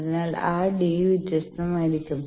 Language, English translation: Malayalam, So, that d will be different